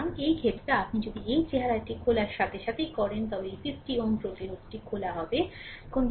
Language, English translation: Bengali, So, in this case if you do this look as soon as you open this one, this 50 ohm resistance is opened